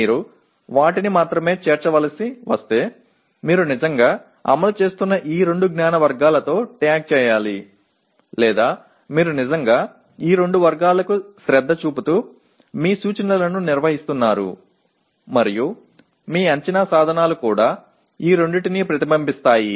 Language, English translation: Telugu, But if only you should include them, you should tag with these two knowledge categories provided that you are actually implementing or you are actually conducting your instruction paying attention to these two categories and also your assessment instruments do reflect these two